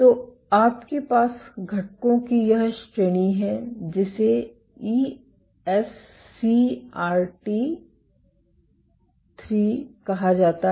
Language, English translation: Hindi, So, you have this family of agents called ESCRT III